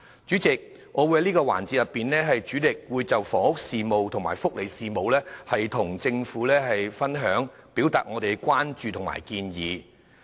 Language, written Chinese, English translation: Cantonese, 主席，在這個環節，我會主力就房屋事務及福利事務向政府表達我們的關注及建議。, President in this session I will mainly express my concerns about housing and welfare as well as make some relevant suggestions